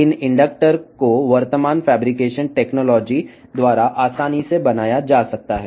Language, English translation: Telugu, These inductors can be easily fabricated by the current fabrication technology